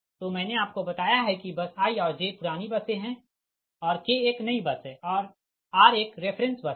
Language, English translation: Hindi, so i have told you that bus i and j, they are old buses, right, and k is a new bus and r is a reference bus